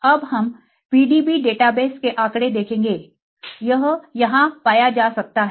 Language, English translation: Hindi, Now we will see the statistics of PDB data base this can be found here